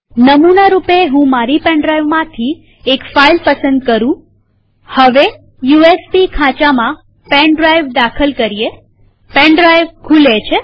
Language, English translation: Gujarati, So let me play one sample file from my pen drive.Now i am inserting my pen drive in an usb slot.Pen drive has opened